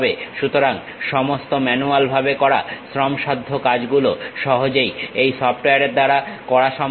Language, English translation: Bengali, So, all that manual laborious task will be very easily taken care by this software